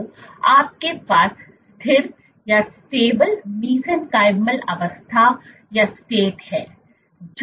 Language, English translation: Hindi, So, you have stable mesenchymal state